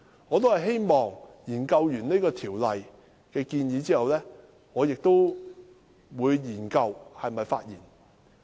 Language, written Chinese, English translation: Cantonese, 我希望在研究這項條例的相關建議後，才考慮是否發言。, I intend to first study the relevant proposals concerning this Ordinance before deciding whether I would speak on it